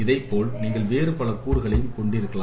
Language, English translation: Tamil, Similarly, you can have various other components